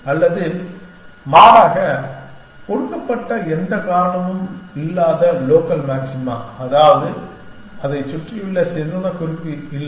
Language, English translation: Tamil, Or rather, it just likely that the given no reason local maxima, which means it does not have a better note surrounding it